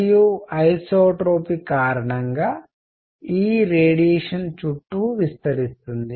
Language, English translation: Telugu, And this radiation is going all around because isotropic